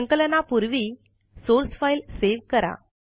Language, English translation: Marathi, Remember to save the source file before compiling